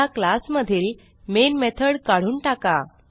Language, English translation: Marathi, Now, let me remove the main method from this class